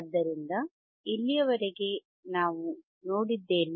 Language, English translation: Kannada, So, until now what we have seen